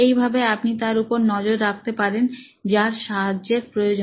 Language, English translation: Bengali, So this way you are actually tracking somebody who needs help